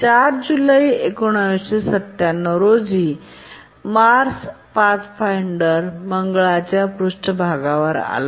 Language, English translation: Marathi, Mars Pathfinder landed on the Mars surface on 4th July 1997